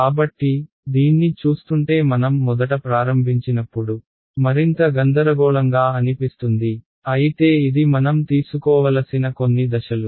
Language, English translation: Telugu, So, still looking at this it is seem even more confusing when we first started out right, but it is a few steps that we have to take